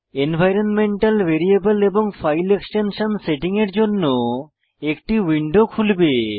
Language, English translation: Bengali, A popup window for setting environmental variable and file extension will appear